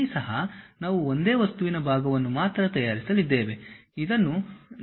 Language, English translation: Kannada, Here also we are going to prepare only one single object part